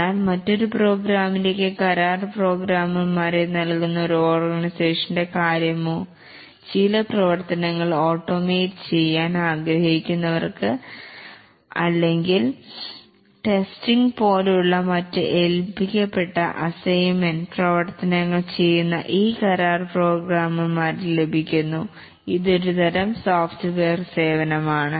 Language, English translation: Malayalam, But what about an organization which supplies contract programmers to another organization who wants to automate certain activities and they just get these contract programmers who do coding or other assignment assigned activities like testing and so on